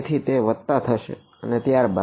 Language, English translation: Gujarati, So, it is going to be plus and then